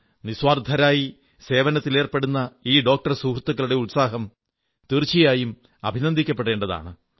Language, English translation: Malayalam, The dedication of these doctor friends engaged in selfless service is truly worthy of praise